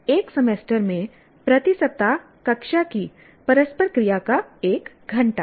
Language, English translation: Hindi, One hour of classroom interaction per week over a semester